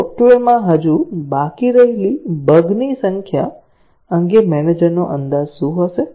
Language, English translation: Gujarati, So, what would be the manager’s estimate of the number of bugs that are still remaining in the software